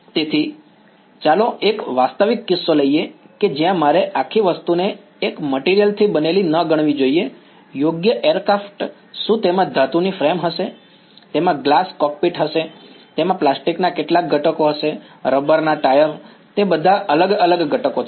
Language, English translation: Gujarati, So, let us take a realistic case where, I should not consider the entire object to be made up of one material right aircraft it will it will have a metallic frame, it will have a glass cockpit, it will have a some plastic components, the rubber tire, all of them they are different different components